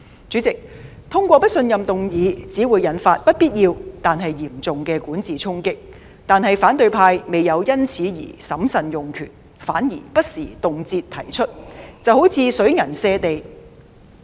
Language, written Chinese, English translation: Cantonese, 主席，通過不信任議案只會引發不必要但嚴重的管治衝擊，但反對派未有因此而審慎用權，反而不時動輒提出，一如水銀瀉地。, President the passage of a motion of no confidence will only pose unnecessary but serious challenges to governance but those in the opposition camp have not exercised such powers with prudence . Instead more often than not they are way too ready to propose such motions and it seems that nothing can stop them